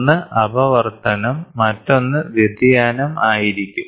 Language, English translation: Malayalam, One is refraction; the other one is going to be diffraction